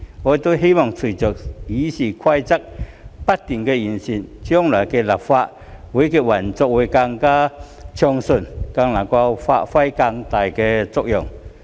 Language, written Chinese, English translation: Cantonese, 我希望隨着《議事規則》不斷完善，立法會將來的運作會更暢順，能夠發揮更大的作用。, I hope that with the continuous improvement of RoP the Legislative Council can operate more smoothly and play a more effective role in the future